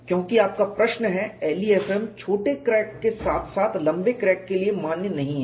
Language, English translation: Hindi, Because your question is LEFM is not valid for short cracks as well as for long cracks